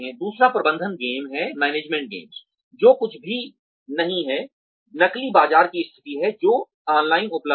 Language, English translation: Hindi, The other is management games, which are nothing but, simulated marketplace situations, that are available online